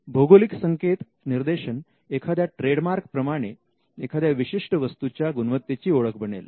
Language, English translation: Marathi, Then geographical indication like trademarks, it allows people to identify the quality of a product